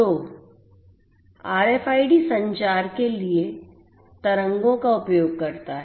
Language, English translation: Hindi, So, here RFID will use RFID uses radio waves for communication